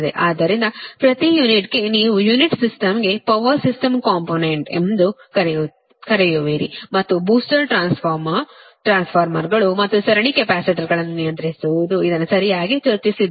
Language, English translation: Kannada, so, up to this, that per unit co, your what you call power system component per unit system and booster, transformer, regulating transformers, and series capacitors, shunt capacitors, we have discussed